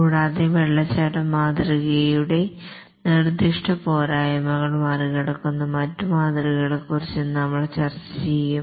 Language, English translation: Malayalam, And then we'll discuss about other models which overcome specific shortcomings of the waterfall model